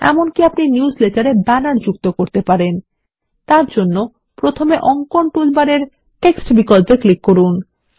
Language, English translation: Bengali, You can even add banners to the newsletter by first clicking on the Text option in the drawing toolbar